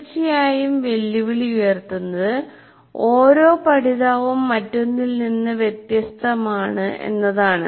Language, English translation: Malayalam, Of course the challenge is each learner is different from the other